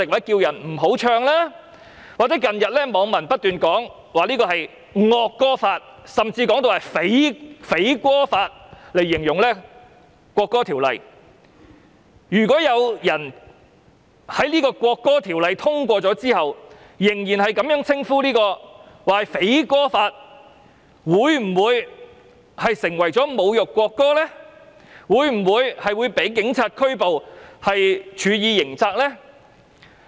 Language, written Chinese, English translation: Cantonese, 近日網民不斷以"惡歌法"甚至"匪歌法"來形容這項《條例草案》，如果在《條例草案》獲通過後仍然稱之為"匪歌法"，會否被指為侮辱國歌，因而被警察拘捕並處以刑責呢？, Recently netizens have been describing the Bill as the Evil anthem law and even Bandit anthem law . If a person still describes the Bill as Bandit anthem law after its passage will he be accused of insulting the national anthem and eventually be arrested by the Police and subject to criminal penalty?